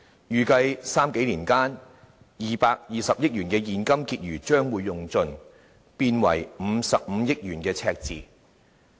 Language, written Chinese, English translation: Cantonese, 預計在三數年間 ，220 億元的現金結餘將會耗盡，變為55億元的赤字。, It was expected that the 22 billion cash balance would run out within the next three years or so and be replaced by a deficit of 5.5 billion